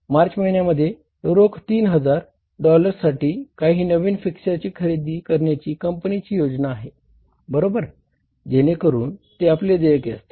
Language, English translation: Marathi, The company plans to buy some new fixtures for $3,000 in cash in the month of March